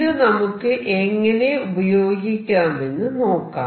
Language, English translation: Malayalam, Let us see how we can use that